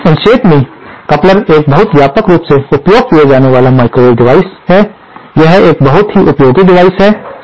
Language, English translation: Hindi, So, in summary, a coupler is a very widely used microwave device, it is a very useful device